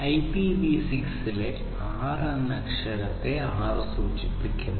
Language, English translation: Malayalam, So, this basically this 6 stands for the letter 6 in IPv6